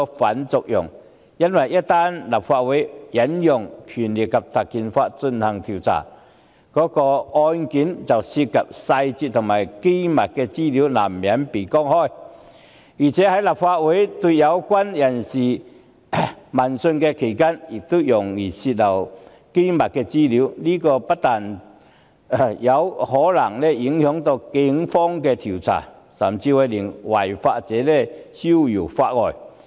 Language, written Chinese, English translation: Cantonese, 須知道立法會一旦引用《條例》進行調查，涉及案件的細節及機密資料難免曝光；在立法會舉行相關聆訊期間亦容易泄漏機密資料，這不但可能影響警方的調查，甚至會讓違法者逍遙法外。, It should be noted that once the Legislative Council invokes PP Ordinance to inquire into the matter detailed and confidential information concerning the case will be inevitably exposed and leaks of confidential information are probable during the inquiry which will not only affect the Police investigation but also enable lawbreakers to get away from the long arm of the law